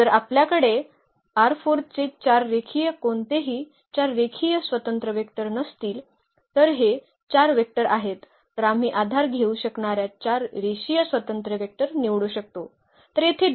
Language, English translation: Marathi, So, if we have 4 linearly any 4 linearly independent vectors from R 4 not only this 4 vectors we can pick any 4 linearly independent vectors that will form a basis